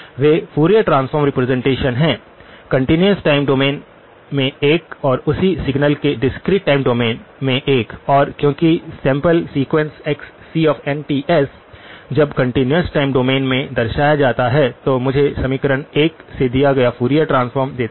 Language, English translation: Hindi, They are Fourier transform representations, one in the continuous time domain and another one in the discrete time domain of the same signal because the sample sequence xc of n Ts when represented in the continuous time domain gives me Fourier transform given by equation 1